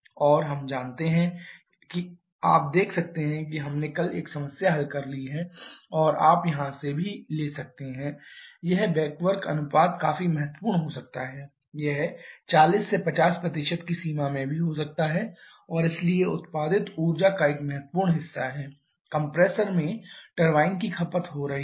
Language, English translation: Hindi, Now and we know that you can see we have solved one problem yesterday and you can take a interest from here also this back work ratio can be quite significant it can even be in the range of 40 50% and therefore a significant portion of the energy produced by the turbine is getting consumed in the compressor